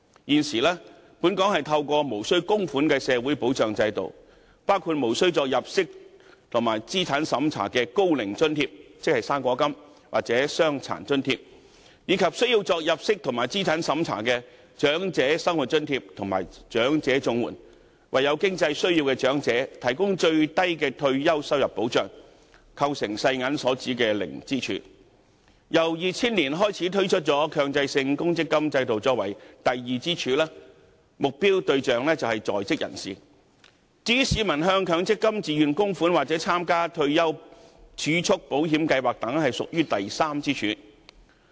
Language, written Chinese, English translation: Cantonese, 現時，本港透過無須供款的社會保障制度，包括無須入息及資產審查的高齡津貼或傷殘津貼，以及需要入息及資產審查的長者生活津貼及長者綜援，為有經濟需要的長者提供最低的退休收入保障，構成世界銀行所指的零支柱；然後，從2000年起推出強積金制度作出第二支柱，目標對象為在職人士；至於市民向強積金自願供款或參加退休儲蓄保險計劃等，便屬於第三支柱。, At present a non - contributory social security system including the non - means - tested Old Age Allowance or Disability Allowance and the means - tested Old Age Living Allowance and Comprehensive Social Security Assistance Scheme for the elderly provides a minimal level of retirement protection to elderly persons in financial need which constitutes the zero pillar proposed by the World Bank . As the second pillar the MPF System introduced in 2000 targets at employed persons . Voluntary MPF contributions or participation in retirement savings insurance plan is the third pillar